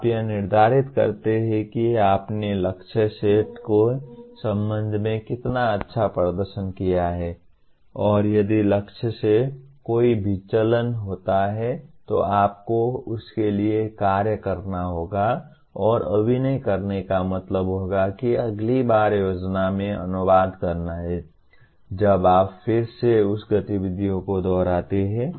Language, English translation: Hindi, You check how far you have performed with respect to the target set and if there is a deviation from the target then you have to act for that and acting would mean again it has to get translated into plan next time you do the again repeat that activity